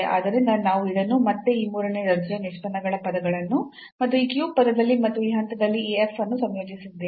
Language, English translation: Kannada, So, we have combined this again these third order derivatives terms as well in this cubed term and this f at this point